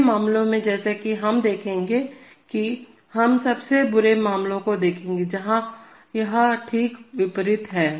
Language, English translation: Hindi, In the next case as we shall show that, we shall see the worst case, where this is just the opposite